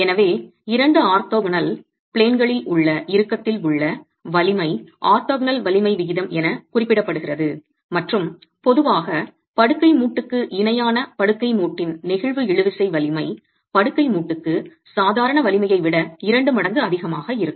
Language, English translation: Tamil, So, the strength in tension in two orthogonal planes is referred to as the orthogonal strength ratio and typically you would have the flexible tensile strength of the bed joint parallel to the bed joint twice as much as that of the strength normal to the bed joint